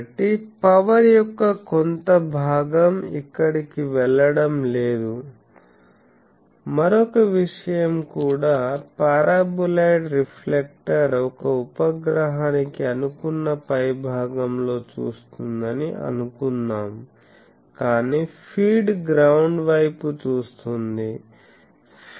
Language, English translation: Telugu, So, some portion of the power is not going to the way thing that is one thing also another thing is suppose this thing the paraboloid reflector is looking at top supposed to a satellite, but the feed is looking to the ground